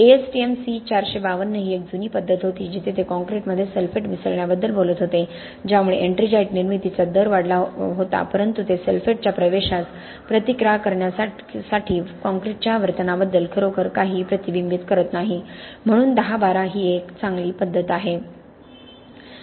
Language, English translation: Marathi, There was an older method ASTM C452 where they talked about mixing sulphates within the concrete to increase the rate of ettringite formation but then that is not really reflecting anything about the concretes behaviour to resist the penetration of the sulphates so 1012 obviously is a better method